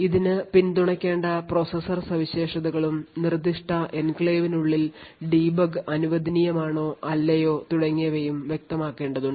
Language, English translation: Malayalam, It needs to specify the processor features that is to be supported and also where debug is allowed or not within that particular enclave